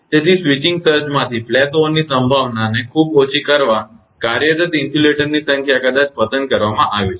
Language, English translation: Gujarati, So, the number of insulators employed maybe selected to keep the probability of flashover from switching surges very low